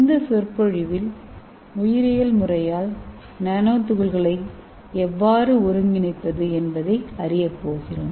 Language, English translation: Tamil, And in this lecture we are going to learn how to synthesize nanoparticle by biological method